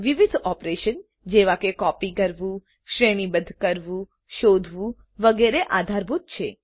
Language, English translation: Gujarati, Various operations such as copying, concatenation, searching etc are supported